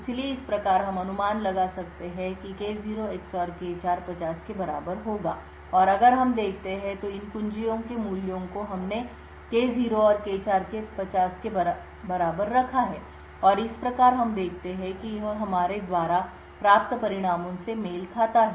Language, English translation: Hindi, So thus we can infer that K0 XOR K4 would be equal to 50 and if we go back to what we have kept the values of these keys we have K0 and K4 is 50 and thus we see it matches the results that we obtain